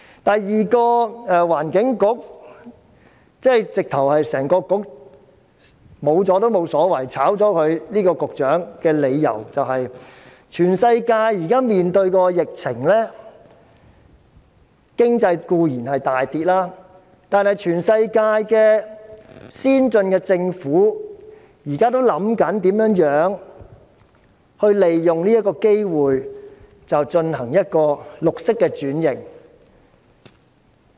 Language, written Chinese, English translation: Cantonese, 第二個取消環境局、辭退局長也無所謂的理由是，全世界現時面對疫情，經濟固然大跌，但全世界先進的政府現時也在思考如何利用此機會進行綠色轉型。, The second reason why it is alright to abolish the Environment Bureau and dismiss the Secretary is as follows . As the world is now facing the outbreak of the epidemic there will inevitably be an economic downturn . While the governments of advanced countries in the world are considering taking this opportunity to facilitate green transformation Hong Kong has failed to do so